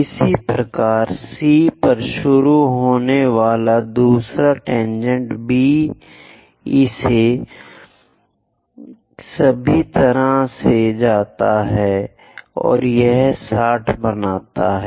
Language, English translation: Hindi, Similarly, the other tangent which begins at C goes all the way to B; this also makes 60 degrees